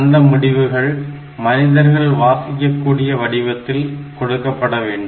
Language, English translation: Tamil, The result must be presented in a human readable form